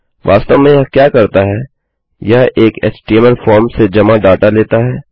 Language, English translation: Hindi, What it basically does is, it takes submitted data from an HTML form